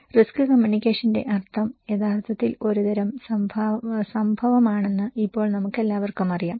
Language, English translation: Malayalam, Now, we all know that the meaning of risk communication is actually a kind of event, where there are two parties